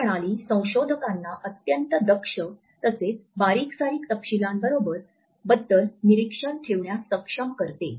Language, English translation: Marathi, This system also enables the researchers to keep meticulous observations